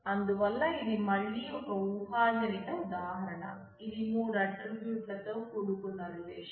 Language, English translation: Telugu, So, you can see this is again a hypothetical example which shows three attributes in relation having three attributes